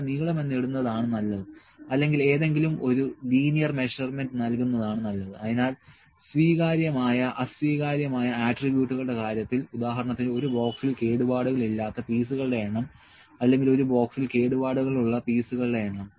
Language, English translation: Malayalam, When I say height it can be dia or any length it is better to put length here any length or linear measurement so, in case of attributes that can be acceptable, non acceptable for instance, number of non defective pieces or number of defective pieces in a box